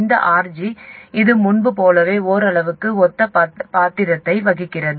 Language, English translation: Tamil, This RG, it plays a somewhat similar role as before